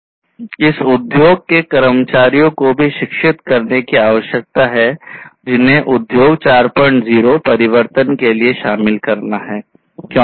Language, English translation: Hindi, And this needs to be also educated to the industry workforce who needs to get into this transformation to industry 4